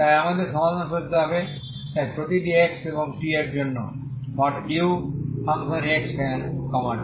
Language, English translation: Bengali, So this is the problem so we need to find a solution so u of x, t for every x and t